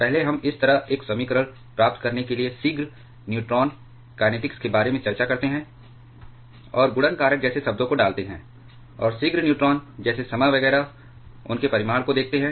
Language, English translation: Hindi, There first we discuss about the prompt neutron kinetics to get a equation like this, and by putting the terms like multiplication factor, and the prompt neutron like time etcetera, their magnitudes